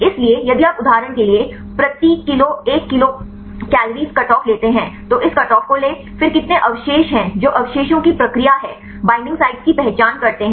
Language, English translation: Hindi, So, if you take a cutoff of 1 kilocal per mole for example, take this cutoff then how many residue that is what is the procedure of residues is identify the binding sites